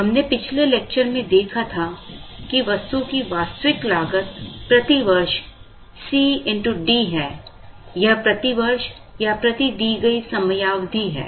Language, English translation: Hindi, We saw in the previous lecture that, the actual cost of the item is D into C per year, this is per year or per given time period